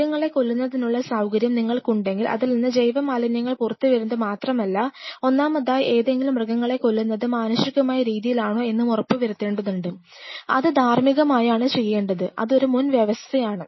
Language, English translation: Malayalam, If you have animal sacrificing facility right not only that the biological waste which are coming out, first of all any animal killing has to be done in a humane manner, in an ethical manner, it is one underlying prerequisite